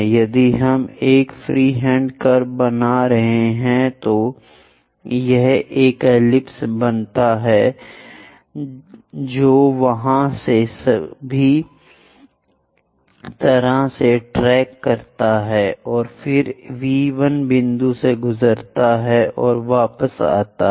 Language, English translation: Hindi, If we are making a freehand curve, it forms an ellipse which tracks all the way there and again pass through V 1 point and comes back